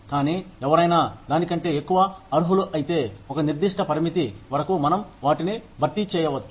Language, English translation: Telugu, But, if somebody deserve more than that, up to a certain limit, we can compensate them